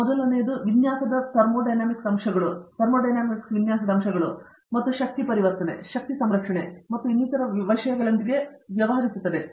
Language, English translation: Kannada, The first one deals with Thermodynamic aspects of design and things like that energy conversion, energy conservation and so on